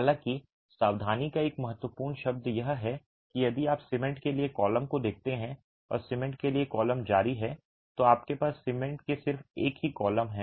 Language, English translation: Hindi, However, an important word of caution is if you look at the column for cement and the column for cement continues here, you just have one single column for cement, right